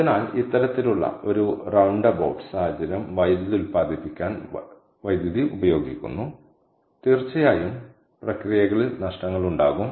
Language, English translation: Malayalam, so this kind of a you know, roundabout situation: the electricity is being used to produce electricity and of course there will be losses in the [laughter] in the processes